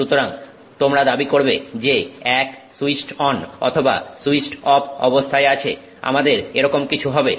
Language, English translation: Bengali, So, you claim that you know one is switched on or switched off, something like that we will have